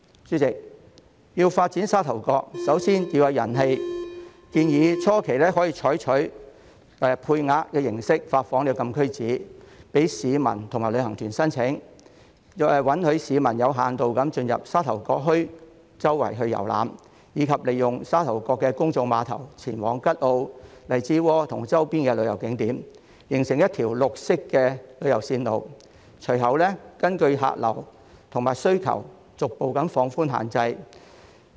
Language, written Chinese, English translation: Cantonese, 主席，要發展沙頭角，首先要有人氣，建議初期可以採取配額形式發放禁區紙，供市民和旅行團申請，允許市民有限度進入沙頭角墟四處遊覽，以及利用沙頭角的公眾碼頭前往吉澳、荔枝窩和周邊旅遊景點，形成一條綠色旅遊線路，日後可根據客流和需求逐步放寬限制。, President people flow is the primary prerequisite for developing Sha Tau Kok . I suggest that in the early stage CAPs can be granted with quotas . Members of the public and tour groups can apply for CAPs to obtain limited access to tour around Sha Tau Kok Town and travel to Kat O Lai Chi Wo and the tourist spots in the periphery via the Sha Tau Kok Public Pier thus creating a green tourism route